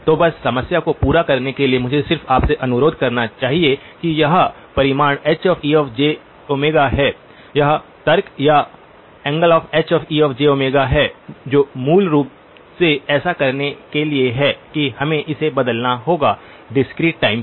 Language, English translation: Hindi, So just to complete this problem let me just request you to so this is magnitude H e of j omega, this is argument or angle H e of j omega that is the so basically in order to do that we would have to change it over to discrete time